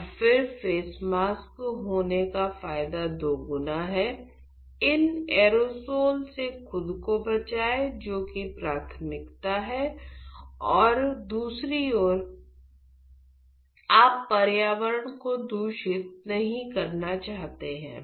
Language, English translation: Hindi, And again, the advantage of having the face mask is twofold, protect yourself from these aerosols which is priority and on the second hand you do not want to contaminate the environment